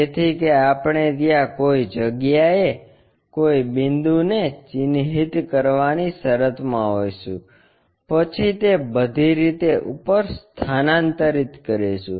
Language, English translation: Gujarati, So, that we will be in a position to mark a point somewhere there, then transfer it all the way up